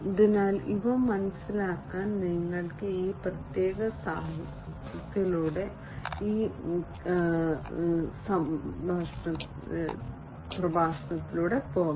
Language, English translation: Malayalam, So, you can go through this particular literature in order to understand these